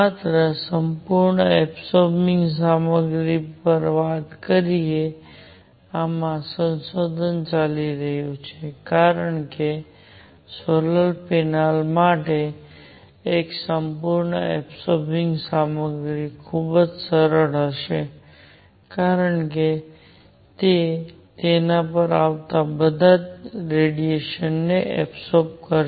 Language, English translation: Gujarati, By the way just talking on the perfect absorbing material, there is research going on into this because a perfect absorbing material would be very nice for solar panels because it will absorb all the radiation coming on to it